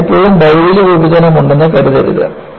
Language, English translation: Malayalam, So, do not think, always, there is material separation